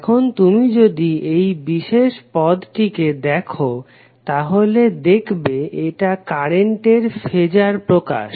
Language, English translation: Bengali, Now, if you see this particular term this is nothing but the phasor representation of current